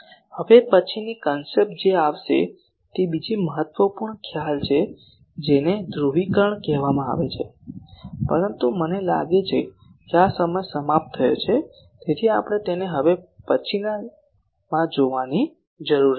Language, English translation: Gujarati, The next concept that will come is another important concept that is called Polarization, but I think for this time is up so we will need to see it in the next one